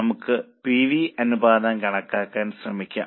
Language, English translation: Malayalam, Let us try to compute the PV ratio